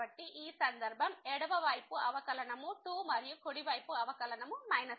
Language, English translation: Telugu, So, in this case the left derivative is 2 and the right derivative is minus 1